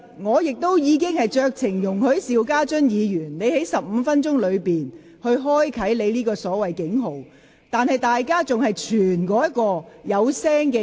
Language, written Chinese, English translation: Cantonese, 我剛才已酌情容許邵家臻議員在其15分鐘發言時間內響起他所謂的"警號"，但隨後卻有議員互相拋傳另一個發聲裝置。, Just now I have exercised my discretion to permit Mr SHIU Ka - chun to sound his alarm during his 15 - minuite speaking time . But soon after that Members threw around another audible device